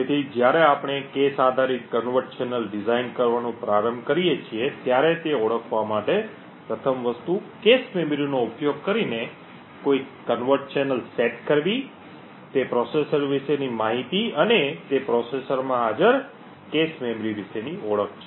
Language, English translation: Gujarati, So while setting up a covert channel using the cache memory the 1st thing to identify when we are starting to design a cache based covert channel or is to identify information about the processor and also about the cache memory present in that processor